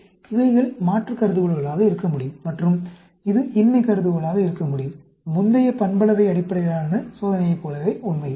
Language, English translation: Tamil, So, these could be the various types of alternate hypotheses and this could be the null hypothesis; just like the previous parametric based test, actually